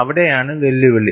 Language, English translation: Malayalam, That is where the challenge lies